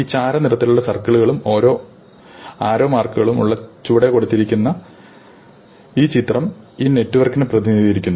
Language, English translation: Malayalam, So, the picture below which has these gray circles and arrows represents this network